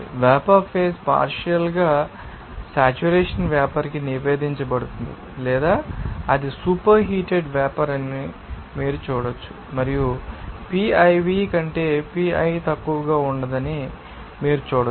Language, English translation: Telugu, Then the vapor phase is report to a partially saturated vapor or you can see that it will be super heated vapor and then you can see that pi will be no less than piv